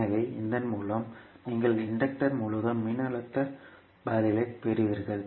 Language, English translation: Tamil, So, this with this you will get the voltage response across the inductor